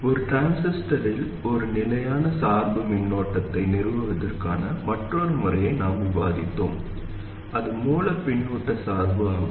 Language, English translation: Tamil, We discussed another method of establishing a constant bias current in a transistor, that is source feedback biasing